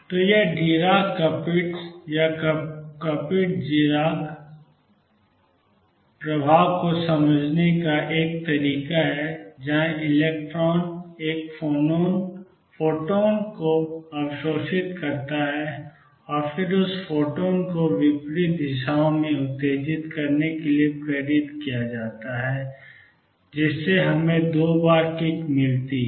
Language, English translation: Hindi, So, this is a way of understanding Dirac Kapitza or Kapitza Dirac effect, where electron absorbs a photon and then it is stimulated to emit that photon in the opposite directions we gets twice the kick